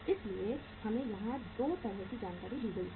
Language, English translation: Hindi, So we are given 2 kind of information here